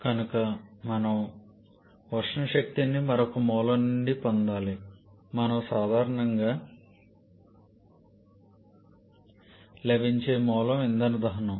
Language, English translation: Telugu, Therefore we have to produce thermal energy from some other source and most common source for that is burning some kind of fuel